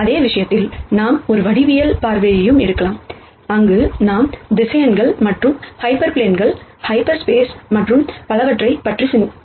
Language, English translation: Tamil, The same subject we could also take a geometric view, where we think about vectors and hyperplanes, half spaces and so on